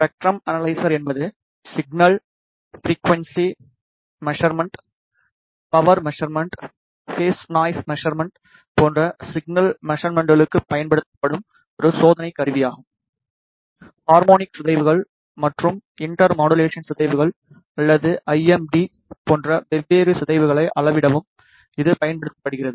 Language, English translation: Tamil, Spectrum analyzer is a test instrument used for signal measurements, such as signal frequency measurements, power measurements, phase noise measurements; it is also used to measure different distortions such as harmonic distortions and inter modulation distortions or IMD